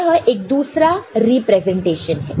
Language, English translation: Hindi, This is another representation